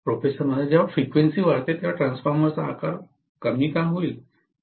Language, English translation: Marathi, When the frequency increases why would the size of the transformer decrease